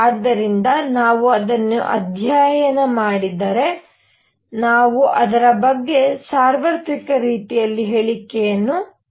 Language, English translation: Kannada, So, if we study it, we can make statements about it in a universal way